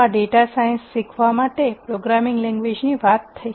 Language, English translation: Gujarati, So, that is as far as a programming language is concerned for learning data science